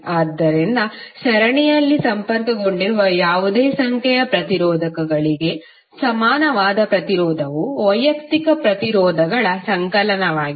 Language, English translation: Kannada, So, equivalent resistance for any number of resistors connected in series would be the summation of individual resistances